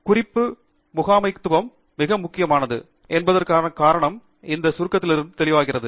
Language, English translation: Tamil, The reason why reference management is very important is evident from this summary